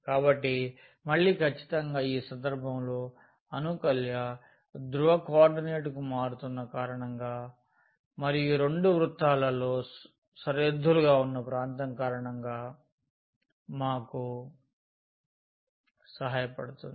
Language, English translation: Telugu, So, again certainly in this case are changing to polar coordinate will help us because of the integrand and as well as because of the region here which is bounded by these two circle